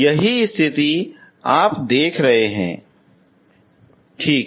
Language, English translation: Hindi, That is the case you are looking at, okay